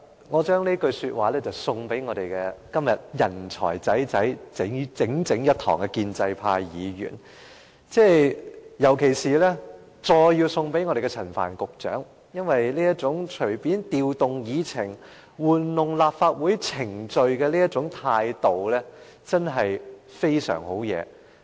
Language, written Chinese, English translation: Cantonese, 我將這句說話送給今天共聚一堂的建制派議員，尤其是要送給陳帆局長，因為這種隨便調動議程、玩弄立法會程序的態度，真是很厲害。, I would like to present this proverb to pro - establishment Members present today in particular to Secretary Frank CHAN . His acts of casually rearranging the order of agenda items and manipulating the procedures of the Legislative Council are really magnificent